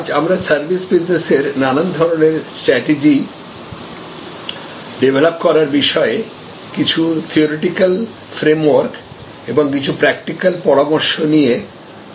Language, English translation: Bengali, Today, we are going to discuss a few more theoretical frame work and practical suggestions about doing, developing the strategy alternatives for a services business